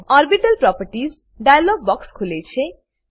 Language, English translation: Gujarati, Orbital properties dialog box opens